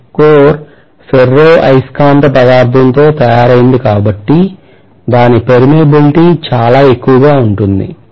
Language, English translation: Telugu, If I say that this core is made up of ferromagnetic material, because of its permeability being quite high, Right